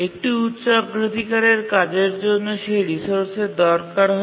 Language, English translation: Bengali, Now a high priority task needs that resource